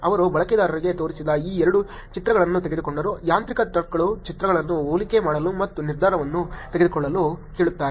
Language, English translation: Kannada, They took these two pictures showed to users, mechanical turkers asking to actually compare the images and make the decision